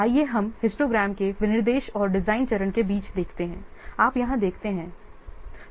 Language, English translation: Hindi, Okay, let's see between the specification and design stage of the histogram you see here